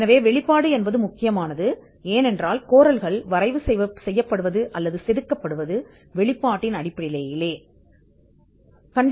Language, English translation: Tamil, So, this the disclosure is important because the claims are drafted or carved out of the disclosure